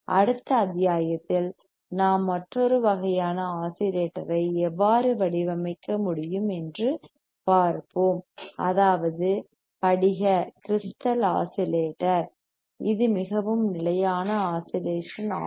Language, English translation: Tamil, We we will see how we can design another kind of oscillator, that is your crystal oscillator,; that is your crystal oscillator which is very stable oscillator crystal oscillator